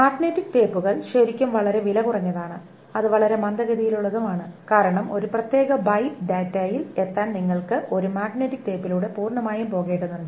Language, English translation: Malayalam, So magnetic tapes are really, really very cheap and it is extremely slow because you have to go through a magnetic tape completely to reach a particular bite of data